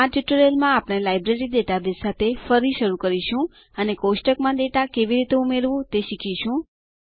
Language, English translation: Gujarati, In this tutorial, we will resume with the Library database and learn how to add data to a table